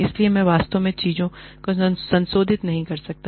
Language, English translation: Hindi, So, I cannot really revise things